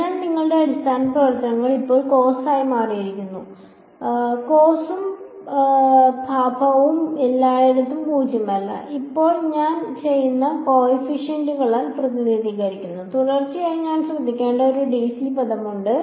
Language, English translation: Malayalam, So, your basis functions now have become this cos and sin cos and sin are nonzero everywhere and now I am representing them by coefficients an and b n and there is of course, a d c term that I have to take care